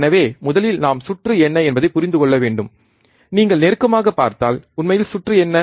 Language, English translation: Tamil, So, first thing we have to understand what is the circuit, if you see closely, right what actually the circuit is